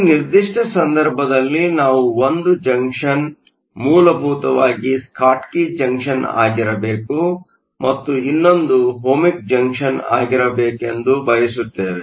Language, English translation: Kannada, In this particular case, we would want 1 junction to be essentially a Schottky junction and the other to be an Ohmic junction